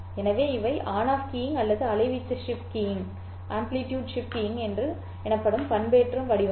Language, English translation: Tamil, So these are the modulation formats called on off keying or amplitude shift keying